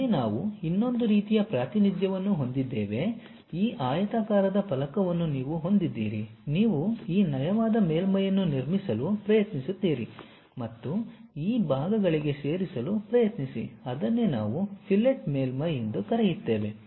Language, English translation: Kannada, Here we have another kind of representation, you have this rectangular plate rectangular plate you try to construct this smooth surface and try to add to these portions, that is what we call fillet surface